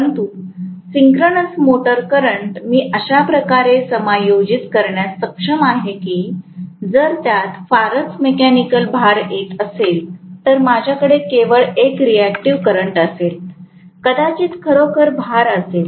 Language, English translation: Marathi, Whereas synchronous motor current I would be able to adjust in such a way that, if it is hardly having any mechanical load I may have only a reactive current, hardly having any reactive, real load